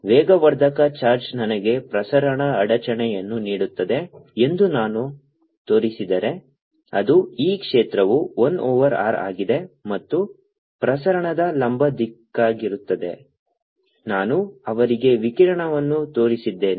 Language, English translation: Kannada, if i can show that an accelerating charge, give me a propagating disturbance which goes as for which the e field is, one over r is perpendicular direction of propagation i have shown in the radiation